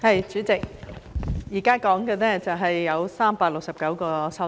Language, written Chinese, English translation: Cantonese, 代理主席，現在說的有369項修正案。, Deputy Chairman we are now talking about 369 amendments